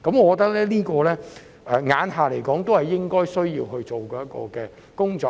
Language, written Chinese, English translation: Cantonese, 按照現時的情況，這些是政府需要做的工作。, In the light of the current situation the Government will need to carry out work in these areas